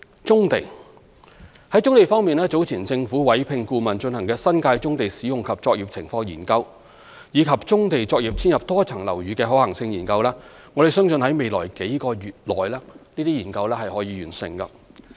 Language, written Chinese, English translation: Cantonese, 在棕地方面，早前政府委聘顧問進行"新界棕地使用及作業現況研究"及"棕地作業遷入多層樓宇的可行性研究"，我們相信這些研究可在未來數個月內完成。, As far as brownfield sites are concerned the Government has commissioned consultancy studies earlier on existing profile and operations of brownfield sites in the New Territories as well as the feasibility of accommodating brownfield operations in multi - storey buildings and we expect that these studies will be completed within the next few months